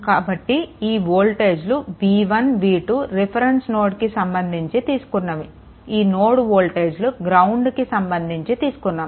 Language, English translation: Telugu, So, this this voltage actually v 1 v 2 the nodal voltage with respect to the your with reference to the ground right